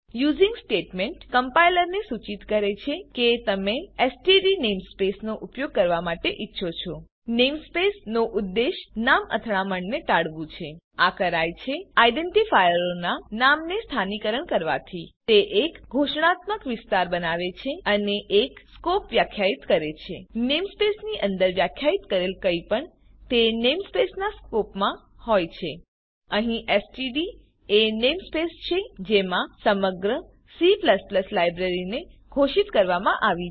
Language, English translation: Gujarati, The using statement informs the compiler that you want to use the std namespace The purpose of namespace is to avoid name collisions It is done by localizing the names of identifiers It creates a declarative region and defines a scope Anything defined within a namespace is in the SCOPE of that namespace Here std is the namespace in which entire standard C++ library is declared